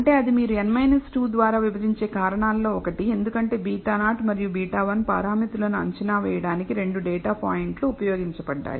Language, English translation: Telugu, That is one of the reasons that you are dividing by n minus 2 because two data points have been used to estimate the parameters beta naught and beta 1